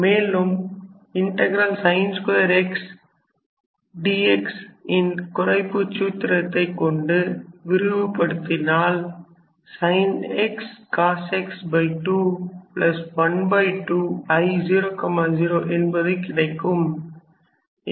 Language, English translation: Tamil, So, this can be written as sin 2 minus 1, so basically sin x times cos x by 2 plus n minus 1